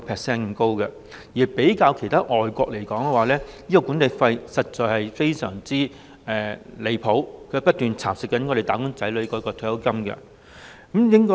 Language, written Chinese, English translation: Cantonese, 相比其他外國國家，本港強積金的管理費實在非常離譜，不斷蠶食"打工仔女"的退休金。, When compared to other overseas countries the management fees of MPF schemes in Hong Kong are absolutely outrageous . They are continuously eroding the retirement funds of wage earners